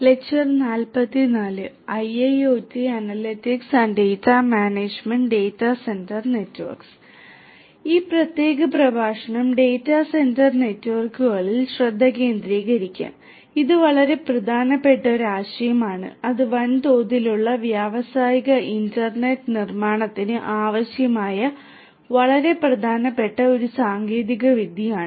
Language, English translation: Malayalam, So, this particular lecture will focus on Data Centre Networks which is a very important concept a very important technology that is required for building large scale industrial internet of things